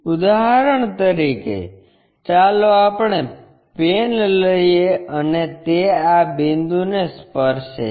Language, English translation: Gujarati, For example, let us take a pen and that is going to touch this point